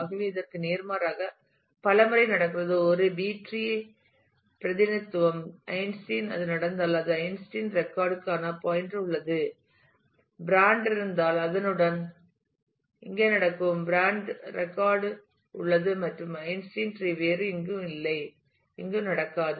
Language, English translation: Tamil, So, there are multiple times there happening this in contrast is a B tree representation where Einstein, if it happens then alongside with it the pointer to the Einstein’s record exists, if brands happen here along with it the brands record exists and Einstein would not happen anywhere else in the tree